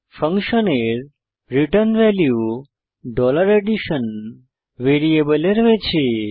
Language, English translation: Bengali, The return value of the function is caught in $addition variable